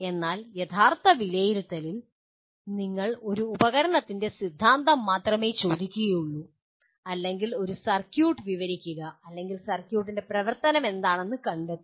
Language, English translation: Malayalam, But in actual assessment you only ask the theory of a device or describe a circuit or find out what is the function of the circuit